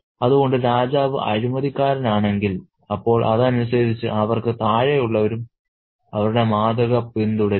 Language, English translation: Malayalam, So, if the aristocracy is corrupt, then accordingly the people below them would also follow their example